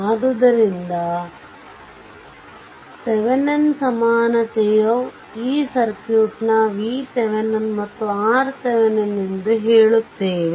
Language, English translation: Kannada, So, its Thevenin’s equivalent says that this circuit that this voltage that v Thevenin and R Thevenin right